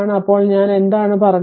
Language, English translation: Malayalam, So what I said